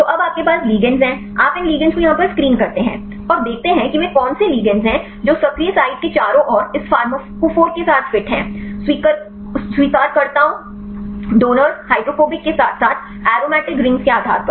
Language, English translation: Hindi, So, now you have the ligands; you screen these ligands here and see which ligands they fit with this pharmacophore around the active site; based on the acceptors, donors, hydrophobic as well as aromatic rings